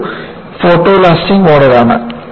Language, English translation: Malayalam, This is the photoelastic model